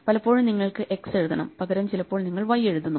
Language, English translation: Malayalam, Very often you need to write x and you write y